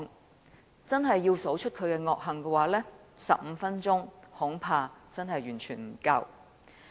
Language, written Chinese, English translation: Cantonese, 如果真的要數算他的惡行，恐怕15分鐘真的完全不足夠。, I am afraid it is absolutely impossible for me to name his heinous sins in 15 minutes